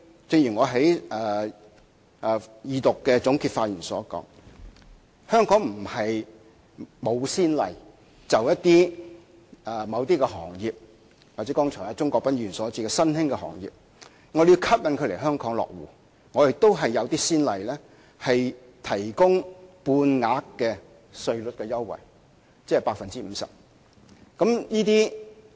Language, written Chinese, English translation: Cantonese, 正如我在二讀辯論的總結發言中指出，過去香港並非沒有先例，就着某些行業，又或是剛才鍾國斌議員提到的新興行業，我們為了要吸引它們來香港落戶，亦有提供半額稅率優惠的先例。, As I pointed out in my concluding speech during the Second Reading debate on the Bill there were precedent cases in Hong Kong where half rate that is 50 % tax concessions had been offered to specific industries or emerging industries as just pointed out by Mr CHUNG Kwok - pan so as to attract them to establish their presence in Hong Kong